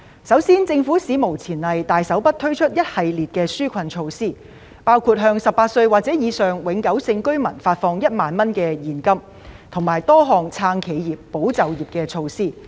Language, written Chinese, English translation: Cantonese, 首先，政府史無前例地大手筆推出一系列紓困措施，包括向18歲或以上永久性居民發放1萬元現金，以及多項"撐企業，保就業"措施。, First of all the Government has unprecedentedly launched a series of generous relief measures such as disbursing 10,000 to permanent residents aged 18 or above and introducing a number of measures to support enterprises and safeguard jobs